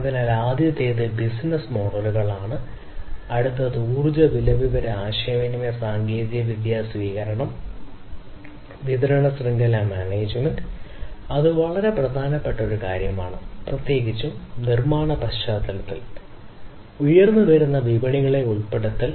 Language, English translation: Malayalam, So, the first one is the business models, the next one is the energy price, information and communication technology adoption, supply chain management, which is a very very important thing, particularly in the manufacturing context, and the inclusion of emerging markets